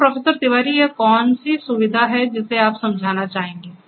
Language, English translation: Hindi, So, Professor Tiwari, what is this facility that you have would you please explain